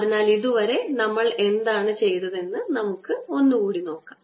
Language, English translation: Malayalam, so let's see what we did